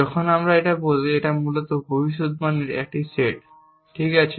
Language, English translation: Bengali, When I say this, it is basically a set of predicates, okay